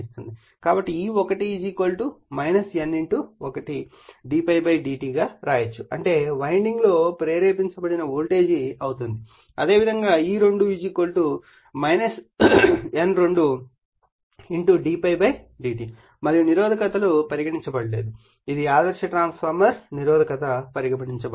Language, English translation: Telugu, So, E1 = you can write minus N1 d∅ / d t that is the induced voltage in the winding, similarly E2 = minus N2 d∅ /dt and you are resist you are neglecting your what you call it is the ideal transformer your resistance is neglected